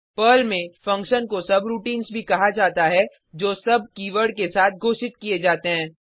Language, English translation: Hindi, In Perl, functions, also called as subroutines, are declared with sub keyword